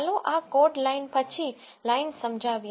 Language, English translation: Gujarati, Let us illustrate this code line by line